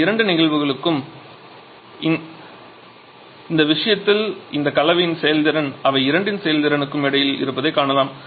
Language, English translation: Tamil, So, for both this case in this case we can see that efficiency for this combination is just in between the efficiency of either of them